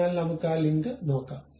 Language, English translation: Malayalam, So, let us look at that link ok